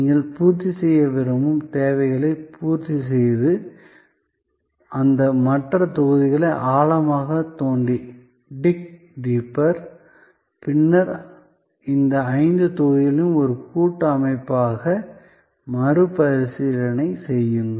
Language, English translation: Tamil, The needs that you want to full fill and then, you dig deeper into those other blocks and then, rethink of these five blocks as a composite system